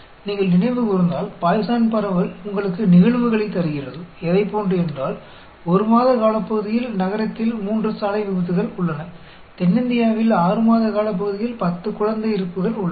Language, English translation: Tamil, If you recollect, Poisson distribution gives you events; like, there are 3 road accidents in the city in a period of 1 month; there are ten infant mortalities in the South India over a period of 6 months